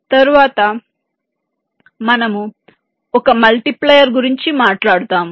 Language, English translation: Telugu, then we talk about a multiplier